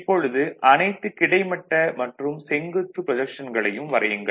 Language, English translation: Tamil, Now, you make all horizontal and vertical projection